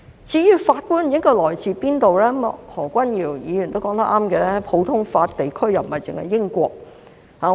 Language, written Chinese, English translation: Cantonese, 至於法官應該來自何方，何君堯議員也說得對，普通法地區不單英國。, As to where the judges should come from Dr Junius HO is right in saying that UK is not the only common law jurisdiction